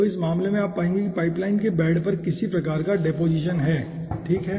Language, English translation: Hindi, so in this case you will be finding out that there is some sort of deposition on the bed of the pipeline